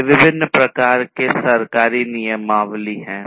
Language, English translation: Hindi, So, these are the different types of government regulations